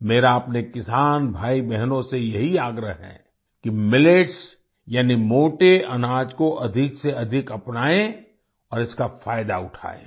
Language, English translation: Hindi, It is my request to my farmer brothers and sisters to adopt Millets, that is, coarse grains, more and more and benefit from it